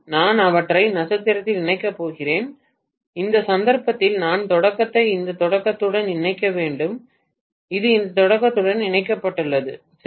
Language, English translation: Tamil, I am going to connect them in star in which case I have to connect this beginning to this beginning, and this is connected to this beginning, right